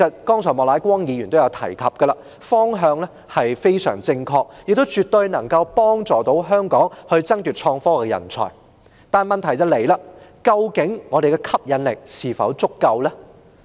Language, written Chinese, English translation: Cantonese, 正如莫乃光議員剛才也提到，這個方向相當正確，亦絕對有助香港爭奪創科人才，但問題在於我們的吸引力是否足夠？, As mentioned by Mr Charles Peter MOK just now this is the right direction which can absolutely help Hong Kong compete for IT talents . But the question lies in whether our appeal is sufficient . It is undeniable that the IT sector craves for talents